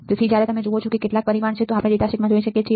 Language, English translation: Gujarati, So, when you see these are the some of the parameter that we are looking at in the datasheet